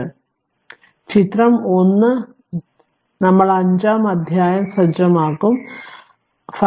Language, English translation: Malayalam, So, figure 1we will set chapter 5 so, 5